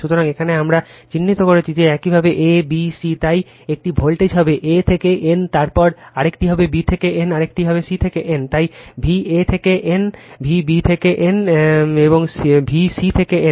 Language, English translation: Bengali, So, here we have marked that your a, b, c, so one voltage will be a to n, then another will be b to n, another will be your c to n, so V a to n, V b to n, and V c to n right